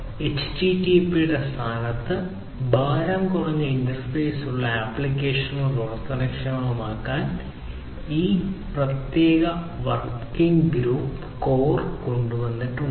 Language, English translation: Malayalam, So, this particular working group has come up with this core to enable applications with lightweight interface to be run in place of HTTP